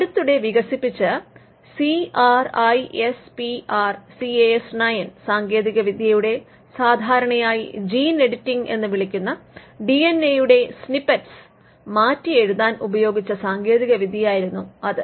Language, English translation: Malayalam, Now, recently we have the CRISPR Cas9 technology, which was it technology used for rewriting snippets of DNA and what we commonly called gene editing